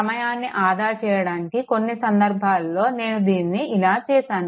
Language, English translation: Telugu, To save the time, some cases I made it like this